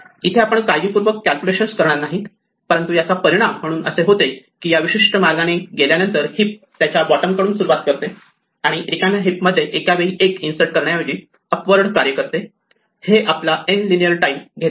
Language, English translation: Marathi, We will not do a careful calculation here, but it turns out that as a result of this, in this particular way of doing the heapify by starting from the bottom of the heap and working upwards rather than inserting one at a time into an empty heap actually takes us only linear time order n